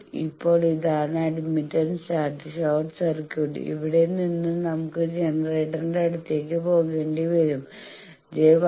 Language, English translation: Malayalam, Now this is admittance chart short circuit, from here we will have to go towards the generator, I will have to see that where is minus j 1